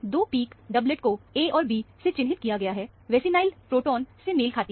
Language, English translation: Hindi, The two peaks, doublet are marked A and B, corresponds to the vinylic protons